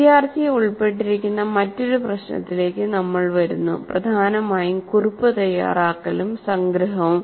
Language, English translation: Malayalam, Next we come to another issue where the student is involved, mainly note making and summarization